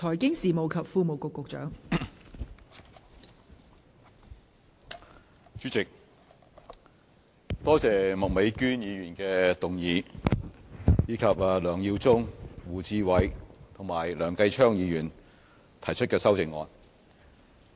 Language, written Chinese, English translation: Cantonese, 代理主席，我多謝麥美娟議員提出議案，以及梁耀忠議員、胡志偉議員和梁繼昌議員提出修正案。, Deputy President I thank Ms Alice MAK for proposing this motion and Mr LEUNG Yiu - chung Mr WU Chi - wai and Mr Kenneth LEUNG for proposing their amendments